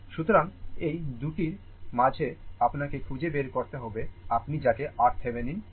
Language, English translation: Bengali, So, across these 2 you have to find out what is your what you call that your R Thevenin